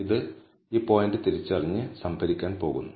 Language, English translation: Malayalam, It is going to identify this point and store it